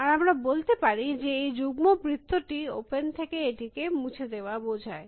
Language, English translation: Bengali, And let us say that, this double circle stand for deleting it from open